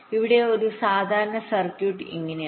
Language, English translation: Malayalam, this is how a typical circuit today looks like